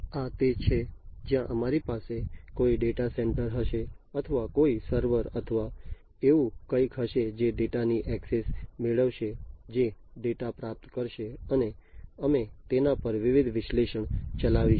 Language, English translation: Gujarati, And this is where we will have some data center or simplistically some server or something like that which will get access to the data, which will acquire the data, and we will run different analytics on it, right